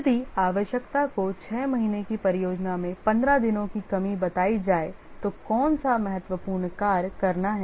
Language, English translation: Hindi, If the requirement is, let's say, 15 days reduction in a six month project, which critical task to take up